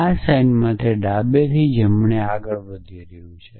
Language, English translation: Gujarati, So, in this notation it is moving from left to right